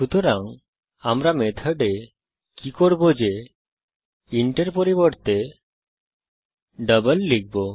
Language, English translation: Bengali, So what we do is in the method instead of int we will give double